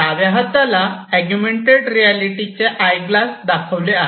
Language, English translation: Marathi, So, on the left hand side we have the augmented reality eyeglasses